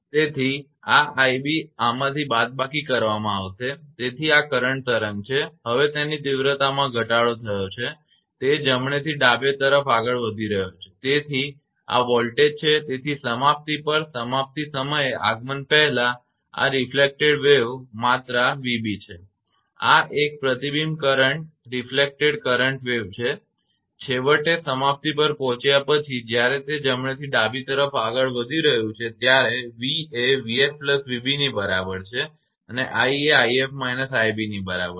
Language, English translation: Gujarati, So, this i b will be subtracted from this so this is the current wave now it has decreased magnitude it is moving from right to left right, so this is voltage, so this is before arrival at termination on arrival at termination this is the reflected wave magnitude v b and this is a reflected current wave, right and finally after arrival at termination when it is moving from right to left it is v is equal to v f plus v b and i is equal to i f minus i b